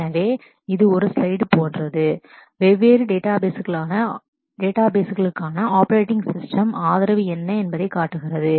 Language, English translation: Tamil, So, this is like a slide which shows what are the operating system support for different databases